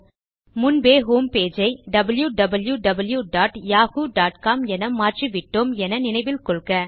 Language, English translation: Tamil, Remember we changed the home page to www.yahoo.com earlier on